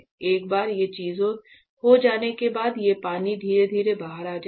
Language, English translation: Hindi, Once those things are done these things these water will slowly come out